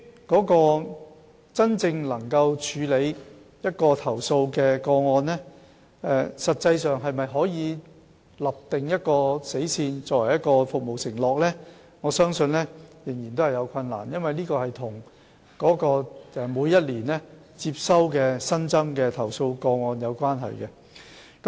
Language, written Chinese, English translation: Cantonese, 但是，就處理投訴個案而言，實際上可否訂立一條死線作為服務承諾，我相信仍然有困難，因為這與每年接收的新增投訴個案有關。, However concerning the handling of complaint cases I believe it is still difficult to actually set a deadline and take it as a performance pledge because it relates to the number of new complaint cases received each year